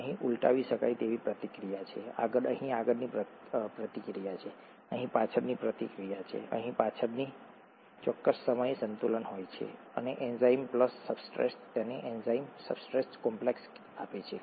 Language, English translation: Gujarati, There is a reversible reaction here, forward, there is a forward reaction here, there is a backward reaction here, there is an equilibrium at certain time and enzyme plus substrate gives you the enzyme substrate complex